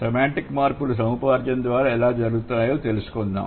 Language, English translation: Telugu, So, now we will try to find out how the semantic changes happen through acquisition